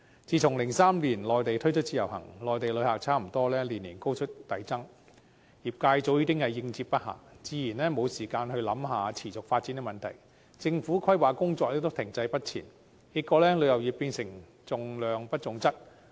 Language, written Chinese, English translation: Cantonese, 自從2003年內地推出自由行，內地旅客逐年高速遞增，業界早已應接不暇，自然沒有時間思考持續發展的問題，政府規劃工作亦停滯不前，結果旅遊業變成重量不重質。, Since the introduction of the Individual Visit Scheme IVS in the Mainland in 2003 the number of Mainland visitors has increased rapidly year after year . As the industry could hardly attend to the influx of the visitors it naturally does not have time to think about sustainable development and the Governments planning work has also been stagnant . Consequently the tourism industry attaches importance to quantity rather than quality